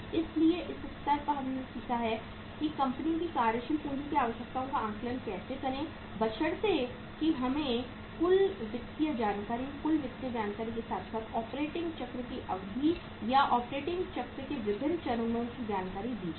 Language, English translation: Hindi, So at this level we have learnt is that how to assess the working capital requirements of the company provided we are given the total financial information, total financial information as well as the the duration of the operating cycle or different stages of the operating cycle